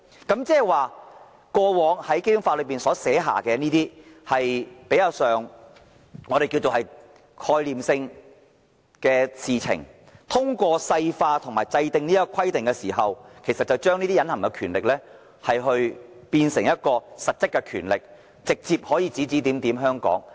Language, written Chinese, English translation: Cantonese, 換言之，關於過往在《基本法》所訂的比較概念性的事情，通過細化和制訂有關規定後，將可把隱含權力變成實質權力，直接對香港指指點點。, In other words with respect to some conceptual issues covered in the Basic Law further details may be worked out and relevant rules and regulations may be formulated to turn the Central Governments implied powers into substantive powers thereby enabling it to lay hands directly on the matters of Hong Kong